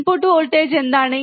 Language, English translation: Malayalam, What is the input voltage